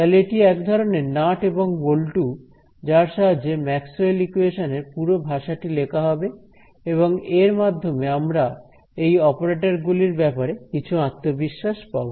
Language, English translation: Bengali, So, these are the sort of nuts and bolts in which the whole language of Maxwell’s equations will be written so, this is to give us some confidence on these operators